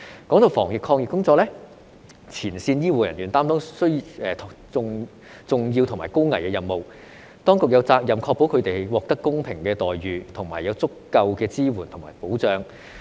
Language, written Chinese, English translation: Cantonese, 提到防疫抗疫工作，前線醫護人員擔當重要和高危的任務，當局有責任確保他們獲得公平的待遇，以及有足夠的支援和保障。, These are all old policies . In relation to anti - epidemic work frontline medical personnel have taken on an important and high - risk task and the authorities have the responsibility to ensure that they receive equal treatment as well as adequate support and protection